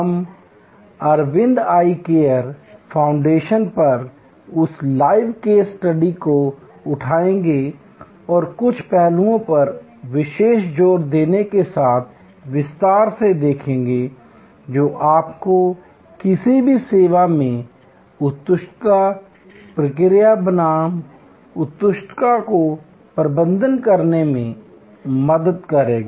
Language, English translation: Hindi, We will take up that live case study on Aravind Eye Care Foundation and look into it in detail with particular emphasis on certain aspects, which will help you to configure, processes versus excellence in any service that you manage